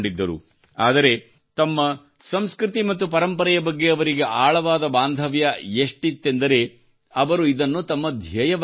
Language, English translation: Kannada, But, his attachment to his culture and tradition was so deep that he made it his mission